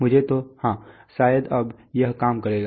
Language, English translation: Hindi, Let me, so, yeah, maybe now it will work now